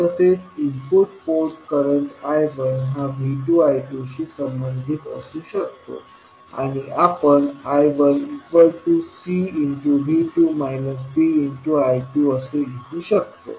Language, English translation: Marathi, Similarly, input port current I 1 can be related to V 2 I 2 and we can write I 1 equal to C V 2 minus D I 2